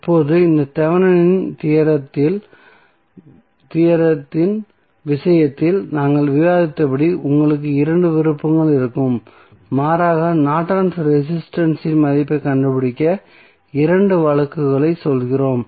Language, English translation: Tamil, Now, as we discussed in case of Thevenin's theorem in this case also you will have two options rather we say two cases to find out the value of Norton's resistance